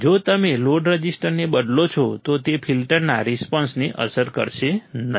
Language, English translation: Gujarati, If you change the load resistor, it will not affect the filter response